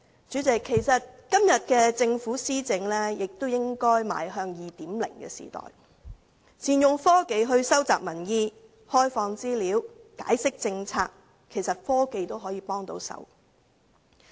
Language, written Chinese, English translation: Cantonese, 主席，其實今天政府的施政亦應邁向 2.0 的時代，善用科技來收集民意，開放資料，解釋政策；其實科技能幫得上忙。, President actually the administration of the Government should also move towards the era of 2.0 today optimizing the use of technology for the collection of public views provision of open data and explanation of policies . In fact technology can help